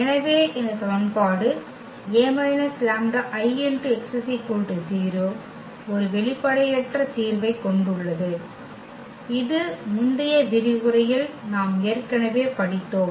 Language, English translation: Tamil, So, this equation A minus lambda I x has a non trivial solution which we have already studied in previous lecture